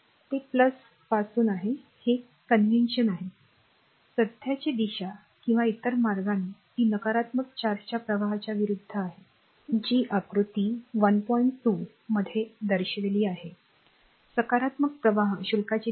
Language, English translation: Marathi, So, that is the from plus so, this is the convention so, this the direction of the current or in other way it is opposite to the flow of the negative charge, this is the flow of negative charge it is move this is minus so, it is moving in a other way